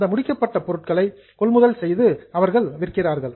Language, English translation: Tamil, They purchase finish goods, they sell finished goods